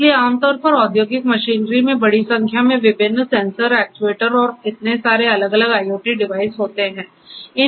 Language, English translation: Hindi, So, typically industrial machinery having fitted with large number of different sensors, actuators and so on, all these different IoT devices